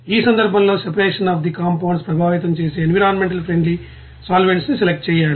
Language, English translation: Telugu, And in this case the selection of environmentally friendly solvents that affect the separation of the compounds